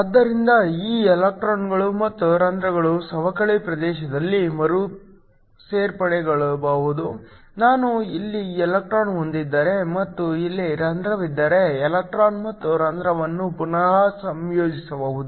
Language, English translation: Kannada, So, these electrons and holes can recombine in the depletion region, if I have an electron here and have a hole here the electron and hole can recombine